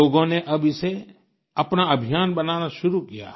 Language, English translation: Hindi, People now have begun to take it as a movement of their own